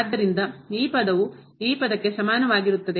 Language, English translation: Kannada, So, this term is equal to this term